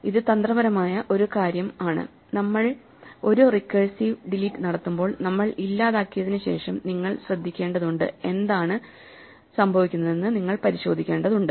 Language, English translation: Malayalam, So, this is the only tricky thing that when we do a recursive delete you have to be careful after we delete you have to check what is happening